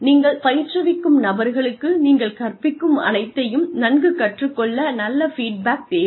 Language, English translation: Tamil, The people you are training, will need active feedback, in order to be, able to learn, whatever you are teaching them, well